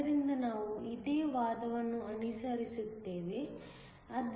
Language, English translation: Kannada, So, we will follow a similar argument